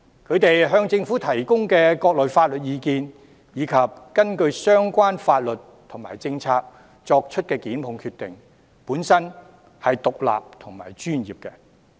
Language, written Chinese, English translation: Cantonese, 他們向政府提供的各類法律意見，以及根據相關法律和政策所作的檢控決定，本身都是獨立和專業的。, The various sorts of legal advice they give to the Government as well as the prosecutorial decisions they make in accordance with the relevant laws and policies are themselves independent and professional